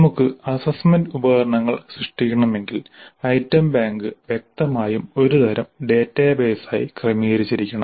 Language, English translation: Malayalam, In an automated way if assessment instruments are to be generated then obviously we must have the item bank organized as some kind of a database